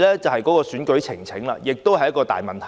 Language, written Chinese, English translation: Cantonese, 此外，選舉呈請亦是一個大問題。, Election petitions have also created much hassle